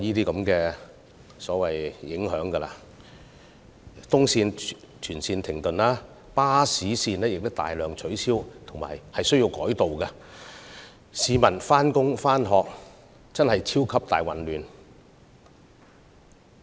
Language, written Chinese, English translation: Cantonese, 東鐵綫全線停駛，亦有大量巴士路線需要取消或改道，以致市民在上班和上課時出現"超級大混亂"。, The service suspension of the whole East Rail Line and also the cancellation or re - routing of numerous bus routes led to super chaos during the morning hours when people rushed to work or school